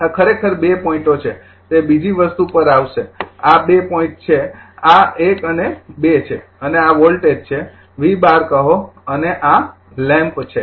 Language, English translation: Gujarati, This is your actually 2 points say will come to that other thing, this is the 2 point this is 1 and 2 and this is the voltage say V 12 and this is the lamp right